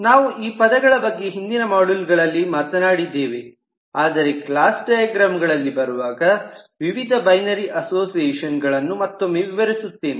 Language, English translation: Kannada, we have talked about these terms in earlier modules as well, but certainly when we come across them in the class diagram, we will again explain what these different binary association means